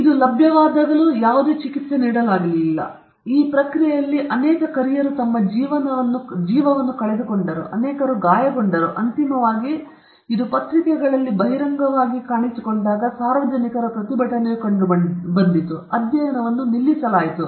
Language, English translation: Kannada, And no treatment was given even though it was available and in that process many people lost their life; many people were injured, and finally, there was a public outcry against this when it appeared in the newspapers, and the study was stopped